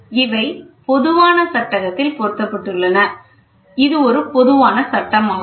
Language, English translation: Tamil, This is that are mounted on a common frame this is a common frame